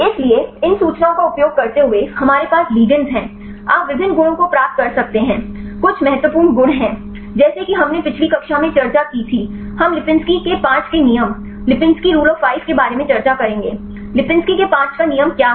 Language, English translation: Hindi, So, using these information we have the ligands, you can derive various properties there is some of the important properties such we discussed right last class we will discussed about lipinski’s rule of 5 what is lipinski’s rule of 5